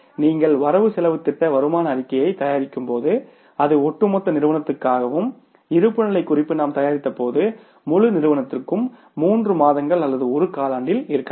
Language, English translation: Tamil, When we prepare the, say, cash budget that was for the firm as a whole, when we prepared the budgeted income statement that was for the firm as a whole and when we prepared the balance sheet that was for the whole firm maybe for a period of three months or one quarter